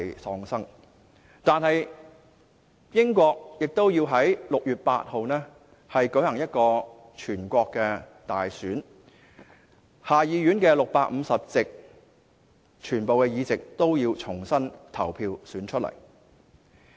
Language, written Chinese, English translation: Cantonese, 儘管如此，英國仍要在6月8日舉行全國大選，重新投票選出下議院全部的650席。, Regardless of the incident the United Kingdom will still go ahead with the General Election to be held on 8 June in which all 650 seats of the House of Commons will be re - elected